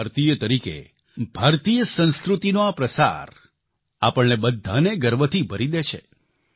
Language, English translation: Gujarati, The dissemination of Indian culture on part of an Indian fills us with pride